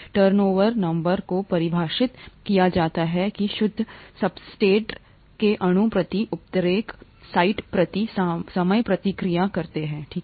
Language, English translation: Hindi, Turnover number is defined as the net substrate molecules reacted per catalyst site per time, okay